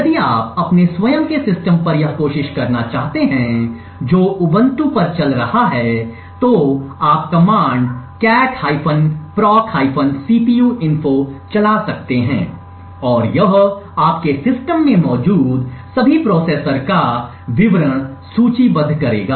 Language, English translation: Hindi, If you want to try this on your own system which is running Ubuntu you can run the commands cat /proc/cpuinfo and it would list details of all the processor present in your system